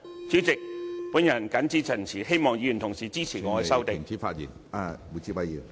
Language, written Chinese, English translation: Cantonese, 主席，我謹此陳辭，希望議員同事支持我的修正案。, With these remarks President I hope that Members will support my amendment